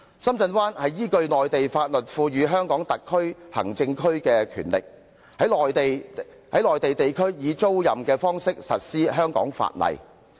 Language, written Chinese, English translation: Cantonese, 深圳灣是依據內地法律，賦予香港特別行政區權力，把屬內地的領土租予香港，實施香港的法例。, In the case of Shenzhen Bay certain territory belonging to the Mainland is leased to the HKSAR in accordance with the Mainland laws thus empowering the Hong Kong Government to enforce the laws of Hong Kong there